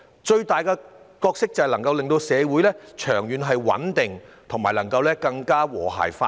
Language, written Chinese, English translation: Cantonese, 最重要的是，能令社會長遠穩定、和諧發展。, The most important of all they can contribute to the long - term stability and harmonious development of society